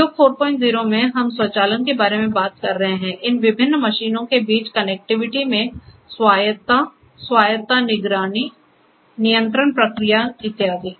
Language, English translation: Hindi, 0, we are talking about a lot about you know automation, connectivity between these different machines autonomously, autonomous monitoring, control feedback control and so on